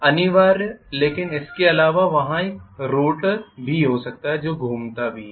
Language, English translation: Hindi, But apart from that there can be a rotor which is also rotating